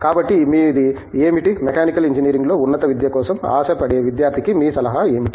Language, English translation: Telugu, So, what is your, what are your words of advice for an aspiring student in for higher education in Mechanical Engineering